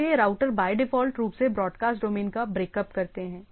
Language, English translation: Hindi, So, routers by default breaks up broadcast domain